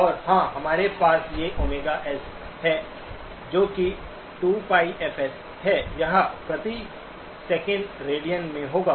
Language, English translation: Hindi, And of course, we have these omega S, that is 2 pi fS, this would be in radians per second